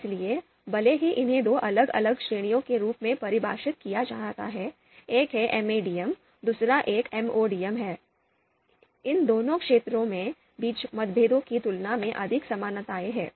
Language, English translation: Hindi, So, even though these are defined as two different categories, one is MADM, the another one is MODM, but there are more similarities between these two categories than differences